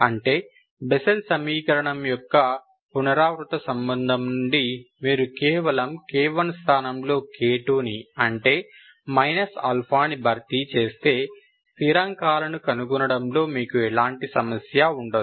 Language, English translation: Telugu, So that means from the recurrence relation of the Bessel equation, if you simply replace k 1, k by k 2, that is minus alpha, you don't have issues to find, you don't have problem to find the constants